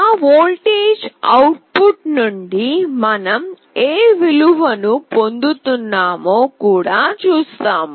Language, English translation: Telugu, We will see that what value we are getting from that voltage output